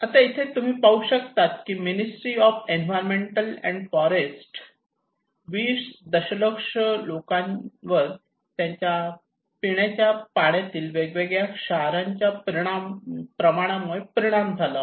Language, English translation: Marathi, Now, here you can see that a Ministry of Environment and Forests, 20 million people affected by varying degree of salinity in their drinking water okay